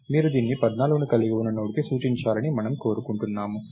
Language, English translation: Telugu, You want it to we want it to point to the Node containing 14